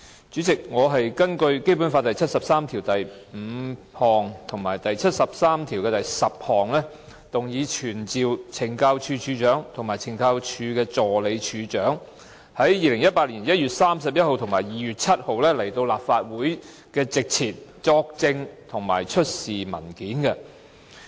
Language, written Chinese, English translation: Cantonese, 主席，我是根據《基本法》第七十三條第五項及第七十三條第十項，動議傳召懲教署署長及懲教署助理署長於2018年1月31日及2月7日到立法會席前作證及出示文件。, In accordance with Articles 735 and 7310 of the Basic Law I moved to summon the Commissioner of the Correctional Services and the Assistant Commissioner of Correctional Services Operations to attend before the Council on 31 January 2018 and 7 February 2018 to testify and produce documents